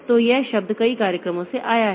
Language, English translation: Hindi, So, this term came from the multiple programs